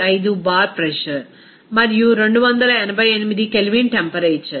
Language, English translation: Telugu, 95 bar and a temperature of 288 Kelvin